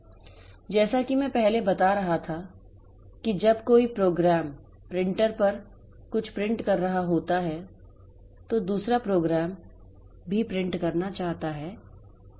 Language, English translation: Hindi, So, as I was telling previously that when say one program is printing something onto the printer, another program also wants to print